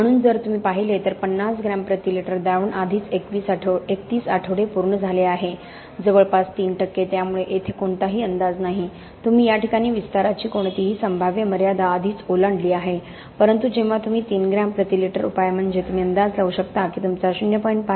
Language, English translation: Marathi, So if you look at the 50 gram per litre solution already at 31 weeks has reached nearly 3 percent so there is no forecasting here, you have already crossed any possible limit of expansion to this case, but when you do the 3 gram per litre solution you can forecast that your significant expansion of even more than 0